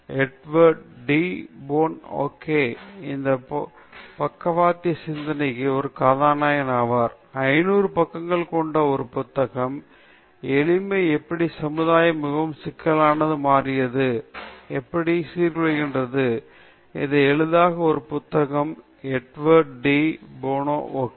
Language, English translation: Tamil, Edward de Bono okay, who is a protagonist of this lateral thinking, he is written a 500 page book on simplicity, how society has become very, very complex, how do decomplexify; it is a book on simplicity, Edward de Bono okay